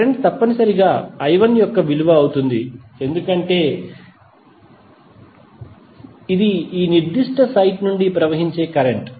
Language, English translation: Telugu, Current would be essentially the value of I 1 because this is the current which is flowing from this particular site